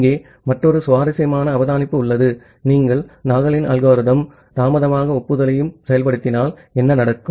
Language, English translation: Tamil, And there is another interesting observation here that, if you implement Nagle’s algorithm and delayed acknowledgement altogether, what may happen